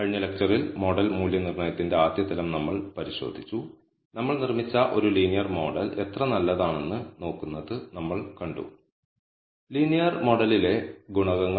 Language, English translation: Malayalam, In the last lecture, we looked at the first level of model assessment, we saw how good is a linear model that we built and we also saw, how to identify the significant coefficients in the linear model